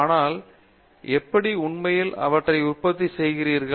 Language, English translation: Tamil, But, how do you actually manufacture them